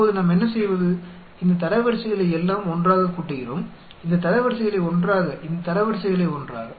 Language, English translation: Tamil, Now, what do we do, we add up all these ranks together, these ranks together, these ranks together